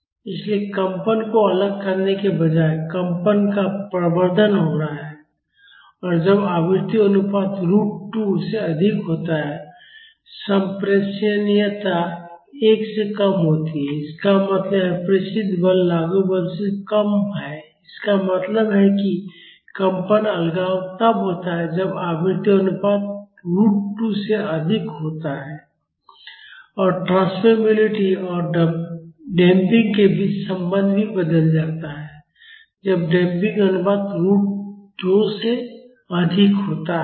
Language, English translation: Hindi, So, instead of isolating the vibration an amplification of vibration is happening when the frequency ratio is higher than root 2 the transmissibility is less than one; that means, the transmitted force is less than the applied force; that means, vibration isolation is happening when frequency ratio is more than root 2 and the relationship between transmissibility and damping also changes when the damping ratio is higher than root two